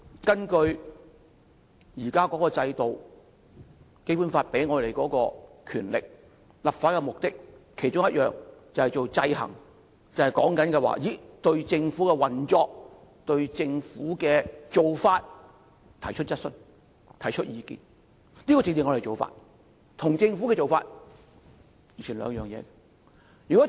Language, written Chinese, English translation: Cantonese, 根據現時的制度，《基本法》賦予立法會權力，其中一個目的就是制衡政府，對政府的運作及做法提出質詢及意見，這是我們要做的，與政府本身怎樣做完全是兩回事。, Under the present system the Basic Law confers powers on the Legislative Council to achieve among others the purpose of exercising check and balance on the Government by asking questions and expressing views on the operation and actions of the Government . These are the tasks to be undertaken by Members . The actions taken by the Government is not a matter to be concerned by the Legislative Council